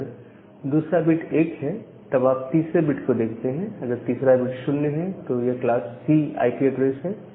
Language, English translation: Hindi, If the third bit is 0, then it is class C IP address